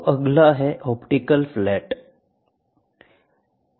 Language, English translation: Hindi, So, next one is optical flat